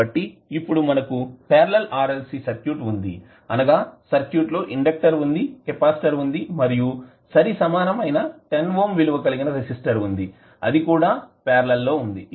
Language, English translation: Telugu, So, now we have a case of parallel RLC circuits, so we have inductor, we have capacitor and we will have another equivalent resistance of 10 ohm which is again in parallel